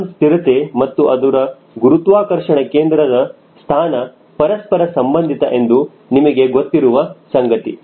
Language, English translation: Kannada, you know that stability and center of gravity locations are related